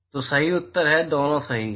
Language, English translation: Hindi, So, the correct answer is: Both are right